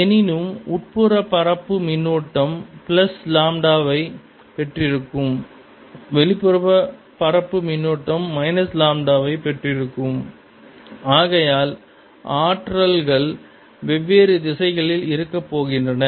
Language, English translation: Tamil, however, the inner surface has charge plus lambda, the outer surface has charge minus lambda and therefore the forces are going to be in different directions